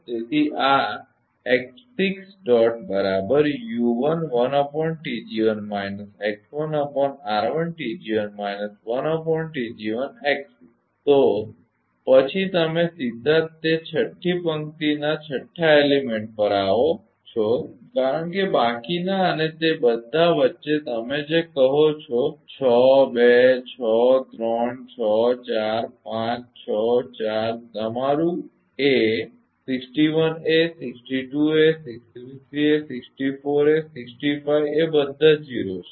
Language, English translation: Gujarati, Then you are directly come to the sixth element of that sixth row right because rest and between all that for your what you calls six two six three six four six five a six three six four your a 61 a 62 a 63 a 64 a 65 all are 0